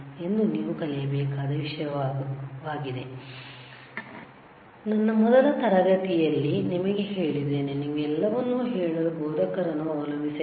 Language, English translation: Kannada, So, that is the same thing that you have to learn, you see, I told you in my first class, that do not rely on instructor to tell you everything, right